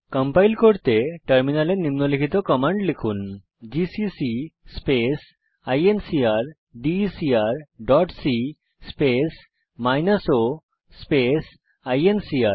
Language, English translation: Bengali, To compile type the following on the terminal gcc space incrdecr dot c space minus o space incr